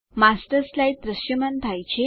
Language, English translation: Gujarati, The Master Slide appears